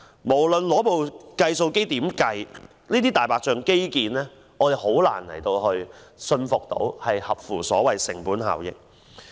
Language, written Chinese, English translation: Cantonese, 無論怎樣計算，我們難以相信這些"大白象"基建工程合乎成本效益。, No matter how we compute it is hard for us to believe that this white elephant infrastructure project is cost effective